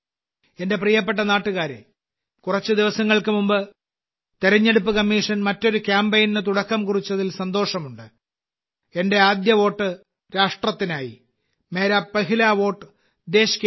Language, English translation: Malayalam, My dear countrymen, I am happy that just a few days ago the Election Commission has started another campaign 'Mera Pehla Vote Desh Ke Liye'